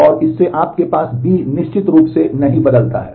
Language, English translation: Hindi, And from this you have B certainly does not change